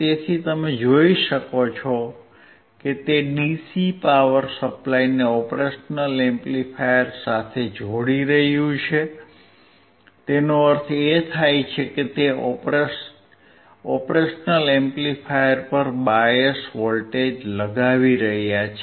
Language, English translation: Gujarati, So, you can see he is connecting DC power supply to the operational amplifier; that means, he is applying bias voltage to the op amp